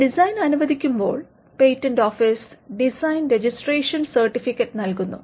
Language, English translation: Malayalam, When a design is granted, the patent office issues a certificate of registration of design